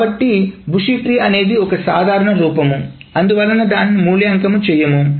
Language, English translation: Telugu, So bush tree is the most general form but we will not evaluate it